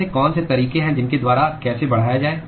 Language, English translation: Hindi, What are the ways by which how to increase